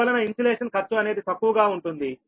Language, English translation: Telugu, thats why insulation cost will be less